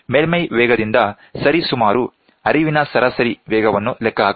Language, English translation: Kannada, The average speed of flow can be calculated approximately from the surface speed